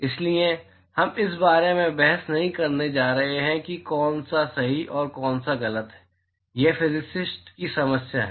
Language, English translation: Hindi, So, we are not going to debate about which is right and which is wrong that is the problem of the physicists